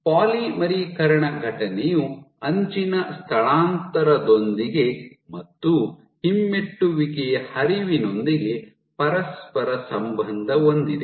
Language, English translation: Kannada, So, a polymerization event is correlated with an edge displacement and correlated with retrograde flow